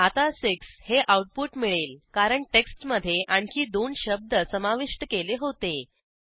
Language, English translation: Marathi, Now the output is 6 because we added two more words to our text